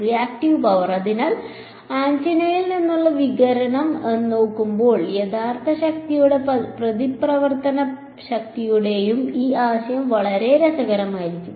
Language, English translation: Malayalam, Reactive power so, this concept of real power and reactive power will be very interesting when we look at the radiation from antenna